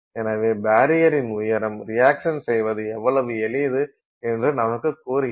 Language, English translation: Tamil, So, therefore the height of the barrier tells you how easy it is to do the reaction, right